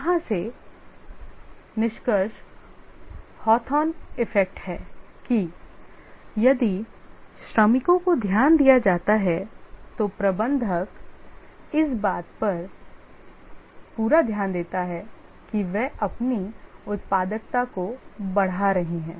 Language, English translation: Hindi, The conclusion from here the Hawthorne effect is that if the workers are given attention, the manager pays close attention that what they are doing, their productivity increases